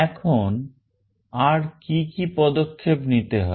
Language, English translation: Bengali, Now, what are the steps to be followed